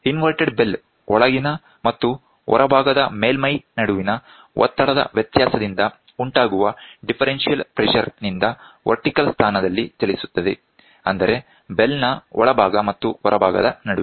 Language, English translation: Kannada, The inverted bell moves in the vertical position due to the differential pressure arising out of the pressure difference between the interior and the exterior surface of the bell; between the interior and the exterior surface of the bell